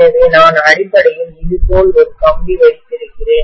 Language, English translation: Tamil, So I am essentially having a wire like this, right